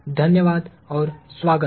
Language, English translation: Hindi, Thank you and welcome